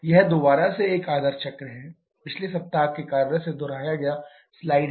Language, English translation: Hindi, This is the ideal cycle again a slide repeated from the previous week’s work